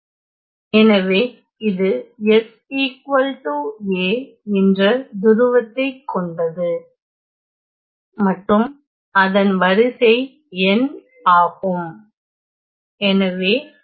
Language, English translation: Tamil, So, this is a pole of order n at S equal to a